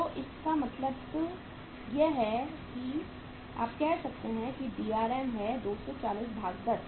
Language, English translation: Hindi, So it means you can say that Drm is 240 divided by 10